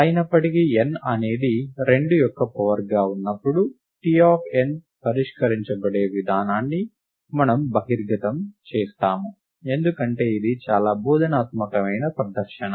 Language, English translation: Telugu, However, we expose the way by which T of n is solved when n is a power of 2, because it is an extremely instructive presentation